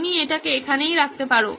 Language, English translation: Bengali, You can put that down as well